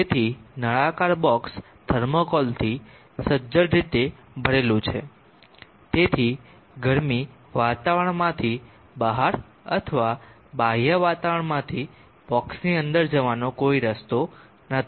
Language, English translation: Gujarati, So the cylindrical box is tightly packed with thermocol, there is no way of heat coming out into the atmosphere or from the external ambient within the box